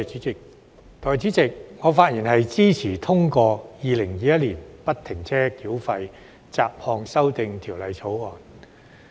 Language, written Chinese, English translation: Cantonese, 代理主席，我發言支持通過《2021年不停車繳費條例草案》。, Deputy President I rise to speak in support of the passage of the Free - Flow Tolling Bill 2021 the Bill